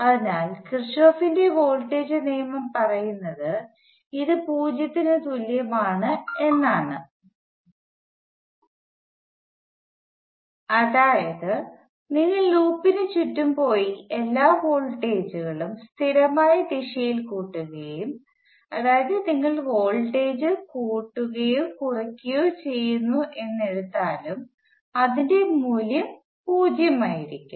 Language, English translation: Malayalam, So what Kirchhoff’s voltage law says is that this is equal to 0 that is you go around the loop and sum all the voltages in a consistent direction you take either rise or fall the sum will be equal to 0